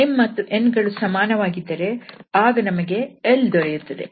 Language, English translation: Kannada, And if have same m and n then the value will be l earlier it was pi